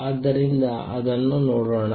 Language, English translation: Kannada, So, let us see that